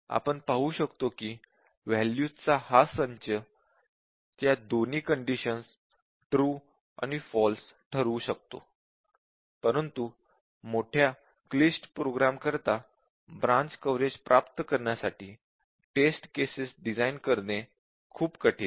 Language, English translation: Marathi, So, we can see that this set of values will set both those conditions true and false, but for larger complicated programs, it is very hard to design test cases to achieve branch coverage